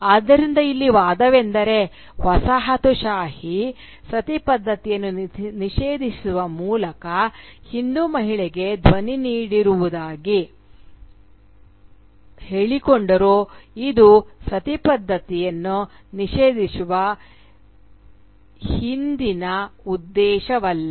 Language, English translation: Kannada, So, the argument here is that though the coloniser, by banning Sati, claimed to give agency to the Hindu woman, this was not the ulterior motive behind the banning of Sati